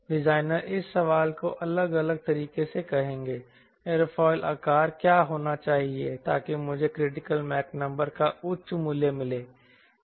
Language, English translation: Hindi, so what the designer will do designer will post this question differently said what should be the aerofoil shape so that i have got high value of critical mach number